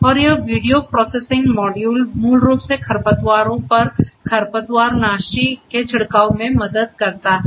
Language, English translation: Hindi, And this video processing module basically helps in this spraying of the weedicides on the weeds